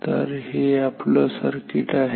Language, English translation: Marathi, So, this is the circuit